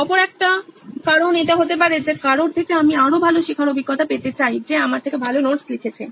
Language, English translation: Bengali, Another reason could be that I want a better learning experience from someone who has written notes better than me